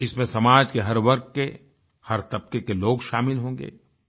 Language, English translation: Hindi, It will include people from all walks of life, from every segment of our society